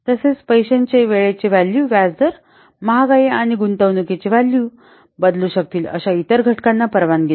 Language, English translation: Marathi, Also the time value of money, it allows for interest rates, inflation and other factors that might alter the value of the investment